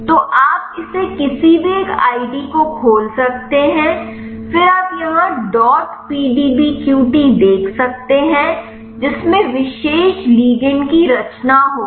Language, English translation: Hindi, So, you can open this any one id, then you can see here out dot PDBQT which will be having the conformation of the particular ligand